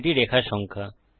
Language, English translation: Bengali, This is the line no